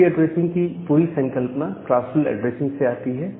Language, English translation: Hindi, So, this entire philosophy of IP address is come from this classful addressing concepts